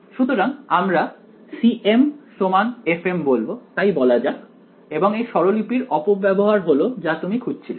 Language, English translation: Bengali, So, we will say that c m is equal to f m yeah and this abuse of notation is the word you are looking for fine